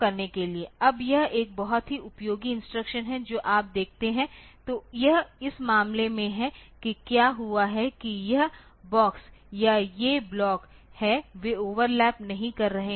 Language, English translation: Hindi, Now this is a very useful instruction you see that so, this is in this case what has happened is that I this box is the or the blocks they are not overlapping